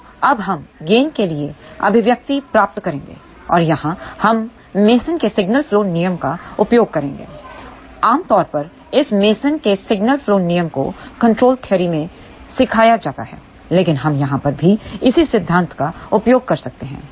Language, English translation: Hindi, So, now we will find the expression for the gain and here, we are going to use Mason's Signal Flow Rule or generally speaking this Mason's Signal Flow Rule is taught in the control theory, but we can use the same concept over here also